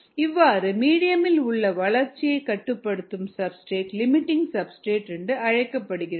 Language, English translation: Tamil, similarly, the substrate in the medium that limits growth is called the limiting substrate